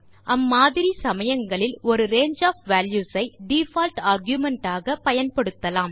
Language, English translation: Tamil, In such cases we use a range of values as the default argument